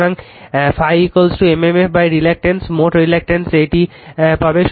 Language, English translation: Bengali, So, phi is equal to m m f by reluctance total reluctance will got this one